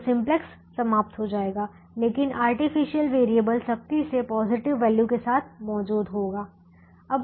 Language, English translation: Hindi, so simplex will terminate, but the artificial variable will be present with the strictly positive value